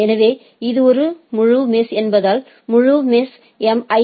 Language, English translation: Tamil, So, it is a fully mesh connection